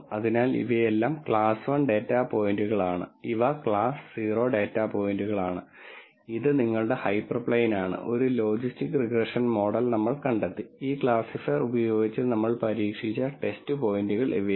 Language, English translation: Malayalam, So, these are all class 1 data points these are class 0 data points and this is your hyperplane that a logistic regression model figured out and these are the test points that we tried with this classifier